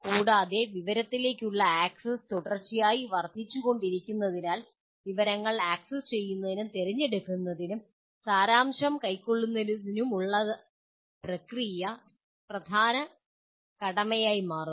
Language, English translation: Malayalam, And also as access to information is continuously increasing, the process of accessing, choosing, and distilling information will become a major task